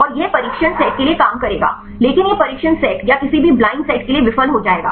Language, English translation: Hindi, And this will work for the training set, but it will fail for the test set or any blind set